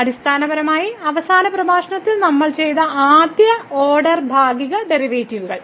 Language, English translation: Malayalam, So, in the last lecture what we have seen the partial derivatives of